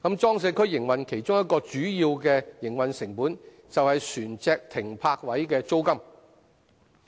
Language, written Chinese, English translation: Cantonese, 裝卸區營運商其中一項主要營運成本，是船隻停泊位的租金。, One of the major operating costs of PCWA operators is the charge for using berths in PCWAs